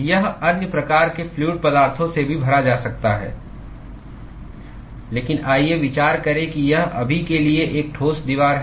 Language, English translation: Hindi, It could even be filled with other kinds of fluids, but let us consider that it is a solid wall for now